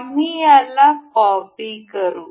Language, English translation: Marathi, We will make a copy